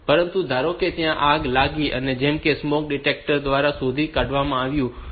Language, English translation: Gujarati, But suppose there is a fire that is detected there is a smoke detector